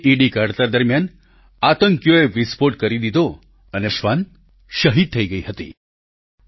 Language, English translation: Gujarati, During unearthing the IED, terrorists triggered an explosion and brave dog were martyred